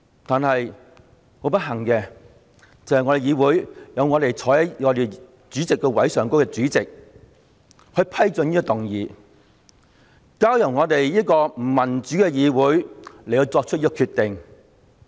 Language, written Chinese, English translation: Cantonese, 但是，不幸地，坐在我們議會的主席座位上的主席批准局長動議這項議案，再交由我們這個不民主的議會來作出決定。, Unfortunately the President sitting on the President Chair allowed the Secretary to move this motion leaving the decision to this undemocratic legislature